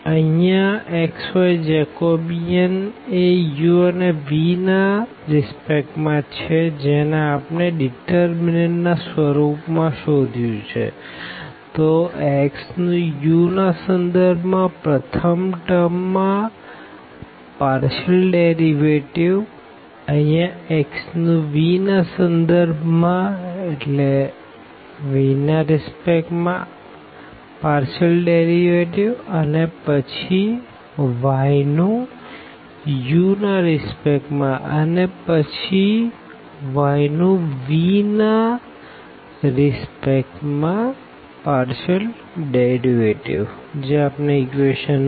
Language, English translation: Gujarati, So, Jacobian here x y with respect to this u and v which is computed as in the form of this determinant; so the partial derivative of this x with respect to u the first term, here the partial derivative of x with respect to v, now for the y with respect to u and this partial derivative y with respect to v